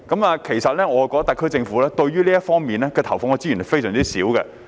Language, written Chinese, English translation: Cantonese, 我認為特區政府對這方面投放的資源相當少。, I think the resources devoted by the SAR Government to this aspect are considerably small